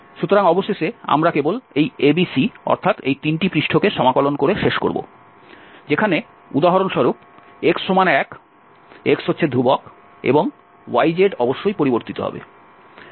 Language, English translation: Bengali, So, finally, we will end up with integrating only these ABC, the three surfaces, where for instance, your x is 1, x is constant and yz will vary of course